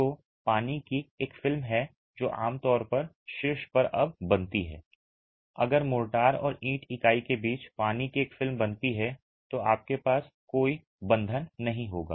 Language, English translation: Hindi, So, there is a film of water that typically forms at the top and now if a film of water is formed between the mortar and the brick unit, you will have no bond